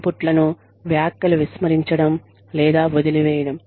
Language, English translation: Telugu, Ignoring or dismissing comments or inputs